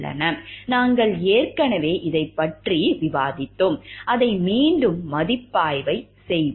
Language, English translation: Tamil, We have already discussed this earlier, let us review it again